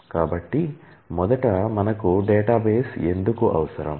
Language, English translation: Telugu, So, first why do we need databases